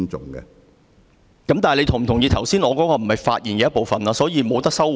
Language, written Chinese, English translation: Cantonese, 主席，你是否同意，我剛才的話不是發言的一部分，所以無法收回？, President do you agree that my earlier remarks do not form part of my speech and so I cannot withdraw my remarks at all?